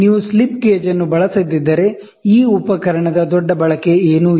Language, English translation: Kannada, If you do not use the slip gauge, this instrument is of not of big use